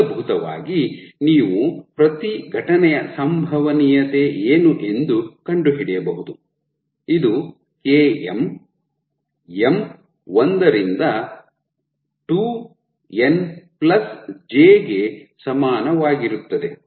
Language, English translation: Kannada, So, in essence you can find out what is the probability of each event, this is going to be that particular event by summation of km, m equal to 1 to 2n+j